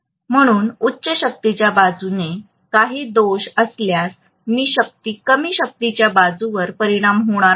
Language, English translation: Marathi, So in the high power side if there is some fault that will not affect the low power side, right